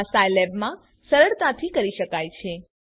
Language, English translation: Gujarati, This can be done easily in Scilab